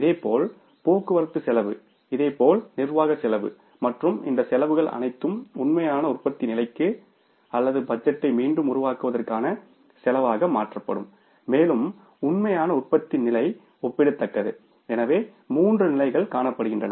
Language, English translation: Tamil, Similarly with the shipping cost, similarly with the administrative cost and all these costs will stand converted to the cost which should be for the actual level of production or maybe for recreating of the budget is comparable to the actual level of production